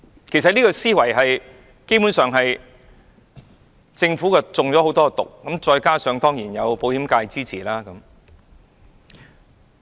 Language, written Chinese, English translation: Cantonese, 其實，這個思維......基本上，政府中了很多"毒"，而保險界當然對政府的建議表示支持。, This mindset basically the Governments mind has been seriously poisoned; on the other hand the insurance sector will certainly support the Governments proposal